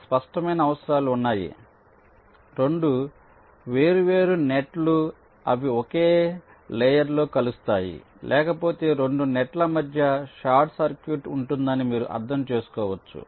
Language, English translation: Telugu, there are some obvious requirements: two different nets, they should not intersect on the same layer as otherwise, you can understand, there will be a short circuit between the two nets